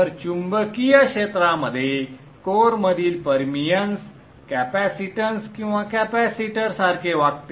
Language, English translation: Marathi, So within the magnetic domain, the permians, the core behaves very much like the capacitance or capacitor